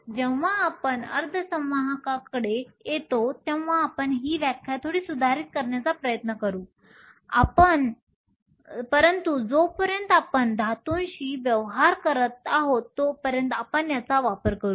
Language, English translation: Marathi, When we come to semiconductors we will try to modify this definition a little, but as far as we dealing with metals we will use this